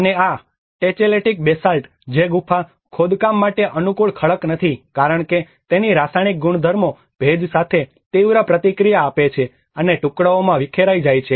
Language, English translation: Gujarati, \ \ \ And this Tacheletic Basalt which is not a conducive rock for cave excavation as its chemical properties react sharply with moisture and disintegrate into pieces